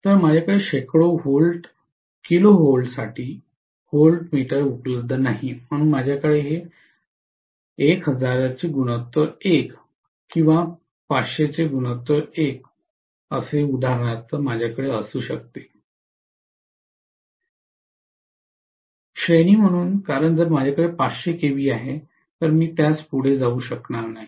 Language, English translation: Marathi, So I may not have voltmeter available for hundreds of kilovolts, so I may have this as 1000 is to 1 or 500 is to 1 for example, as the range, so because of which if I am having 500 kV, I would be able to step it down as 1 kV and I would be able to measure this with the help of a voltmeter